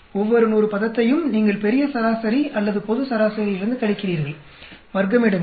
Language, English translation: Tamil, Each term 100 you subtract from the grand average or the global average, square